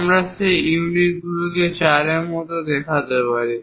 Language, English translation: Bengali, So, we can show this one also 4